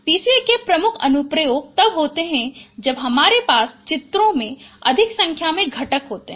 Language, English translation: Hindi, The major applications of PCA, it is therein with the when you have more number of components in images